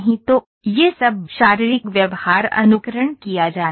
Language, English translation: Hindi, So, all this physical behaviour are to be simulated